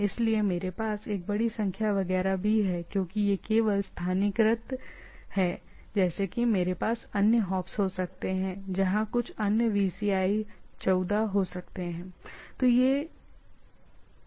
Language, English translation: Hindi, So, I do not have to have a huge number etcetera also because it is it is only localized like I can have other hops where some other VCI 14 can be there, theoretically right